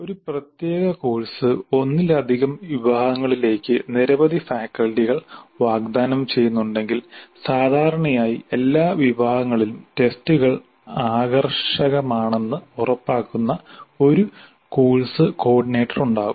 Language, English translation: Malayalam, And if a particular course is being offered by a larger number of faculty to multiple sections, then usually there is a course coordinator who ensures that the tests are uniform across all the sections